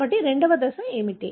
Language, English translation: Telugu, So, what is the second step